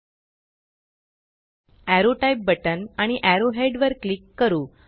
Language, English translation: Marathi, Let us click the Arrow Type button and an arrow head